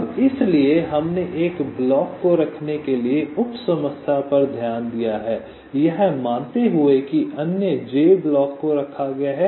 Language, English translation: Hindi, ok now, so we have looked at the sub problem for placing one block only, assuming the other j blocks are placed